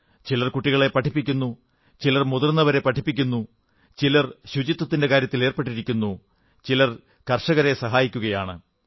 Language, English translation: Malayalam, Someone is teaching the old people; someone is involved in the campaign of cleanliness whereas someone is helping out the farmers